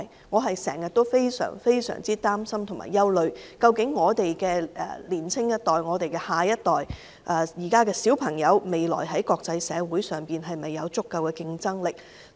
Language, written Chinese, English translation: Cantonese, 我非常擔心和憂慮，究竟年輕一代和現時的小朋友，未來在國際社會上有否足夠競爭力。, I am gravely worried and concerned about whether the younger generation and children nowadays will become competitive enough in the future international arena